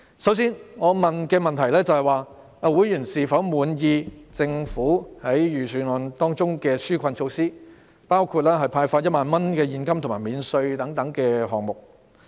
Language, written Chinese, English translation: Cantonese, 首先，我詢問的問題是，會員是否滿意政府在預算案中的紓困措施，包括派發1萬元現金和稅務寬減。, My first question was whether members were satisfied with the Governments relief measures in the Budget including the handout of 10,000 cash and tax concessions